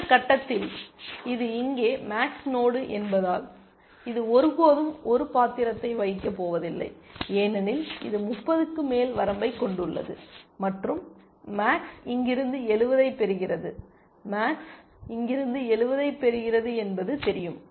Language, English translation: Tamil, At this point, observe that because this is a max node here, this is never going to play a role any further because it has an upper bound of 30, and max is getting 70 from here, max knows it is getting 70 from here